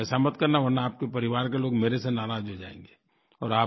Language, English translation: Hindi, Please, do not do that, else your family members will be displeased with me